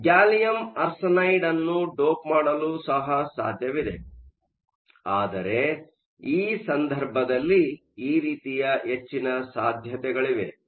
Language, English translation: Kannada, So, it is also possible to dope gallium arsenide, but they are now more possibilities in this case